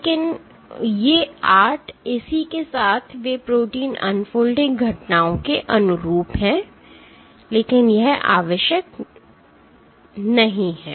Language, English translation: Hindi, But these 8 corresponding, they correspond to protein unfolding events, but it is not necessary